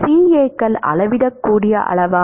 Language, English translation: Tamil, Is CAs a measurable quantity